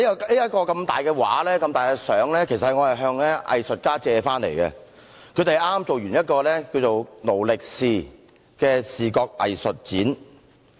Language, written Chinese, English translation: Cantonese, 這幅大型照片其實是我向藝術家借回來的，他們剛完成了一個名為"勞力是"的視覺藝術展。, This large picture is actually borrowed by me from some artists . They have just finished an art exhibition called Poverty . Full - time